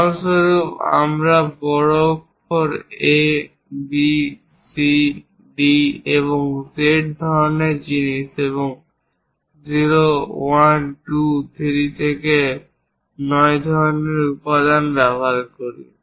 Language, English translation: Bengali, For example, we use capital letters A, B, C, D to Z kind of things and 0, 1, 2, 3 to 9 kind of elements